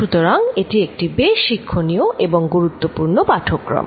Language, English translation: Bengali, So, this is quite an instructive and important lecture